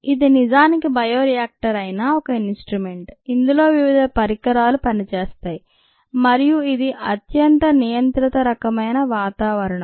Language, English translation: Telugu, it is any bioreactor for that matter is an instrumented there are various instruments here and highly controlled kind of an environment here